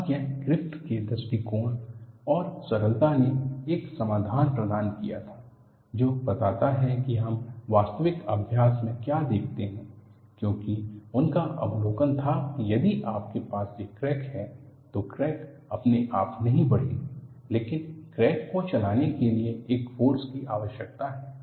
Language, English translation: Hindi, And it was Griffith’s approach and ingenuity provided a solution which explains what we see in actual practice; because his observation was, if you have a crack, the crack will not grow by itself, but you need a, a force to drive the crack